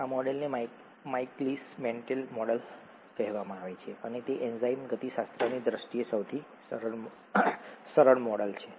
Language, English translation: Gujarati, This model is called the Michaelis Menten model and it’s the simplest model in terms of enzyme kinetics